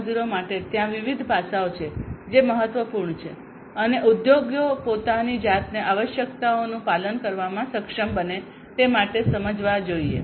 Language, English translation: Gujarati, 0, there are different aspects that are important and should be understood in order for the industries to be able to comply themselves with the requirements